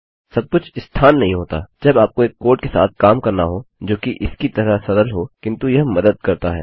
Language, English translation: Hindi, Position isnt everything when you have to deal with a code as simple as this but it does help